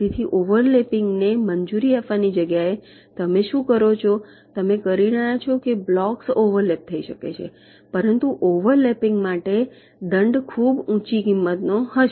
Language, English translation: Gujarati, so instead of disallow overlapping what you would, you are saying the blocks can overlap, but the penalty for overlapping will be of very high cost